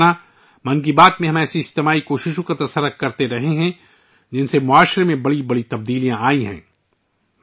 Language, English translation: Urdu, My family members, in 'Mann Ki Baat' we have been discussing such collective efforts which have brought about major changes in the society